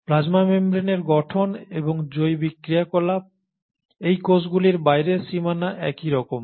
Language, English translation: Bengali, The structure and the biological activity of the plasma membrane, the outermost boundary of these cells is similar